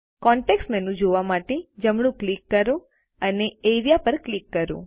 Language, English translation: Gujarati, Right click to view the context menu and click Area